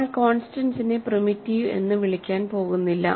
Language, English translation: Malayalam, We are not going to call constants primitive